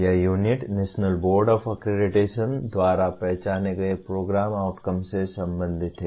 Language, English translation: Hindi, This unit is related to the Program Outcomes as identified by National Board of Accreditation